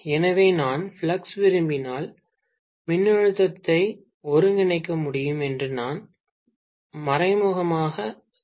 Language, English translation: Tamil, So, I can indirectly say if I want flux, I should be able to integrate the voltage